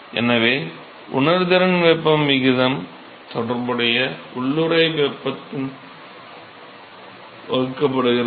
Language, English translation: Tamil, So, the ratio of the sensible heat that is carried divided by the corresponding latent heat